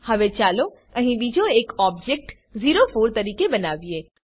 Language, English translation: Gujarati, Now let us create another object here as o4